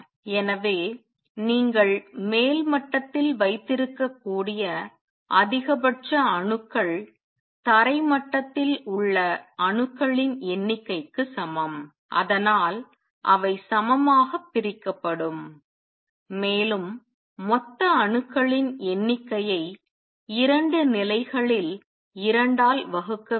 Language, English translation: Tamil, So, maximum number of atoms that you can have in the upper level is equal to the number of atoms in the ground level and that is so they will be divided equally and you will have total number of atoms divided by 2 in the 2 levels